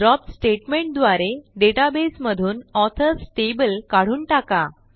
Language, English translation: Marathi, Drop the Authors table from the database, by using the DROP statement